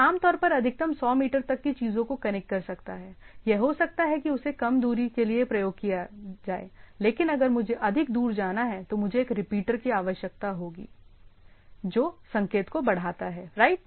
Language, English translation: Hindi, So, if it is typically can connect 100 meters things at a that maximum things it maybe little less than that and if I have to go more than that, I require a some repeater or which amplifies the signal right